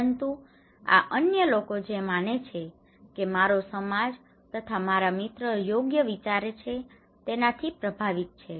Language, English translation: Gujarati, But this is also influenced by what other people think my society thinks, my friends thinks right